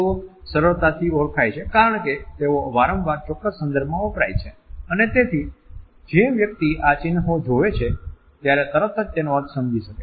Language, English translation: Gujarati, They are easily identified because they are frequently used in specific context and therefore, the person who receives these emblems immediately understand the meaning